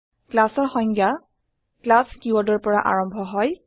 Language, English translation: Assamese, A class definition begins with the keyword class